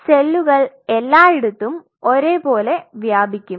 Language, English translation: Malayalam, So, the cells now will spread all over the place in a uniform way